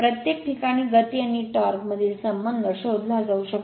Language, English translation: Marathi, The relation between the speed and the torque in each case can be found out right